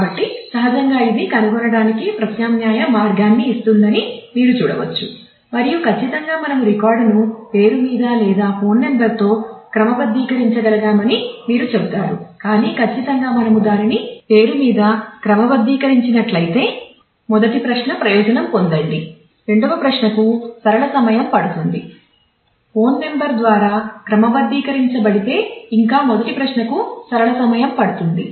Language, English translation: Telugu, So, you can see that naturally this gives us a alternate way of finding out and certainly you would say that we could have kept the record sorted on name or on phone number, but certainly if we keep it sorted on name the first query we will get benefited the second query will still take a linear time if we get keep it sorted by phone number the first query will take a linear time